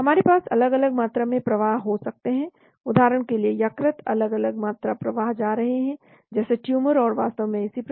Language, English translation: Hindi, So we can have different amounts flows going in it, say a liver, different amounts flows going into the say, tumor and so on actually